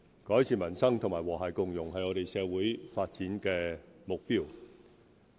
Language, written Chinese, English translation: Cantonese, 改善民生與和諧共融是我們社會發展的目標。, Improving peoples livelihood and building an inclusive society are development targets of our society